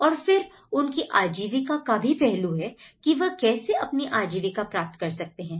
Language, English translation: Hindi, And there is also about the livelihood you know, how they can actually get their livelihood aspects of it